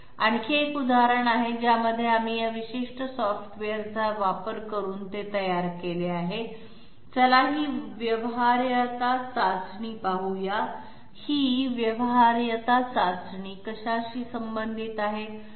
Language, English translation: Marathi, There is another example in which we have also machined it out using this particular software, let s see this feasibility test, what is this feasibility test concerned about